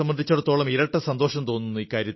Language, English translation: Malayalam, And for me this means double joy